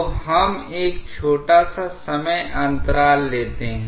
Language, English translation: Hindi, So, we take a small time interval